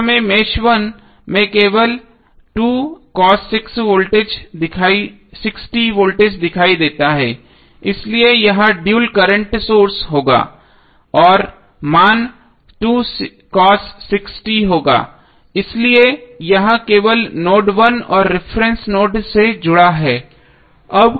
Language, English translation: Hindi, Now voltage 2 cos 6t we appear only in mesh 1 so it’s dual would be current source and the value would be 2 cos 6t therefore it is connected only to node 1 and the reference node